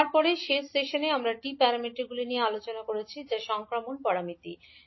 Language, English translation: Bengali, And then in the last session we discussed about the T parameters that is transmission parameters